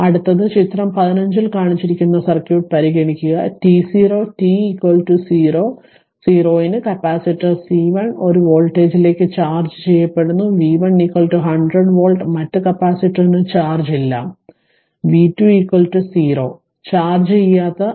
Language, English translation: Malayalam, So, next is consider the circuit shown in figure 15 prior to t 0 t is equal to 0, the capacitor C 1 is charged to a voltage v 1 is equal to 100 volt and the other capacitor has no charge that is v 2 is equal to 0 right that is uncharged